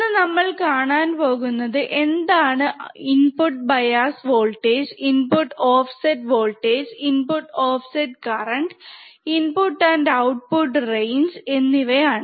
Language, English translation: Malayalam, So, we will see today what are input bias voltage input offset current input offset voltage, input and output voltage range